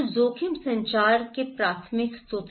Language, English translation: Hindi, So, the primary source of risk communications